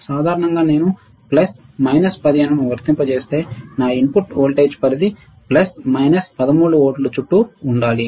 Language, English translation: Telugu, This is in general we are talking about in general if I apply plus minus 15 my input voltage range should be around plus minus 13 volts